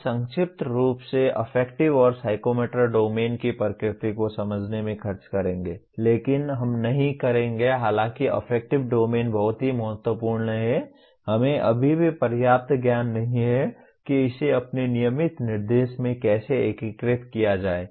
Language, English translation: Hindi, We will spend briefly in understanding the nature of affective and psychomotor domain but we would not be though affective domain is very very important, we still do not have adequate knowledge how to integrate that into our regular instruction